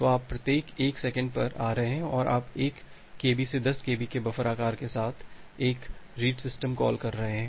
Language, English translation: Hindi, So, you are may be coming at every 1 second and you are making a read system call with the buffer size of 1 Kb 10 Kb